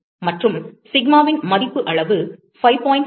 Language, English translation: Tamil, And the value of sigma is 5